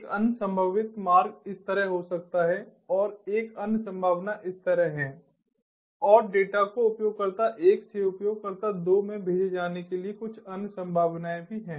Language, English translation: Hindi, another possible route is may be like this, and another possibility is like this, and there are few other possibilities also for the data to be sent from user one to user two